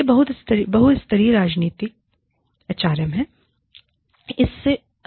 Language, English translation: Hindi, This is, the multilevel of strategic HRM